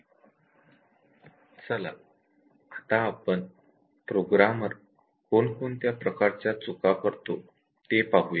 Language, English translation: Marathi, Now, let us see the kind of mistakes programmers commit